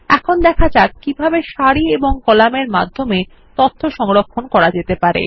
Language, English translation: Bengali, Now let us see, how we can store this data as individual tables of rows and columns